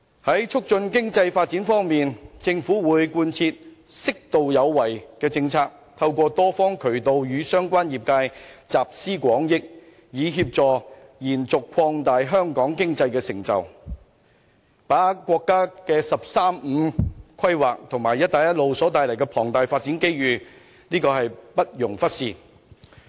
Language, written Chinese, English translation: Cantonese, 在促進經濟發展方面，特區政府會貫徹"適度有為"的政策，透過多方渠道，與相關業界集思廣益，以協助延續和擴大香港的經濟成就，把握國家"十三五"規劃和"一帶一路"所帶來的龐大發展機遇，這是不容忽視的。, In order to promote economic development the SAR Government will stay appropriately proactive and gather industries views through different channels so as to help sustain and broaden Hong Kongs economic success and capitalize on the enormous growth opportunities arising from the implementation of the National 13 Five - Year Plan and the Belt and Road Initiative . This should not be overlooked indeed